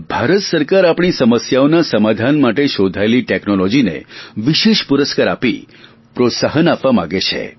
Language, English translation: Gujarati, The Government of India wants to specially reward technology developed to find solutions to our problems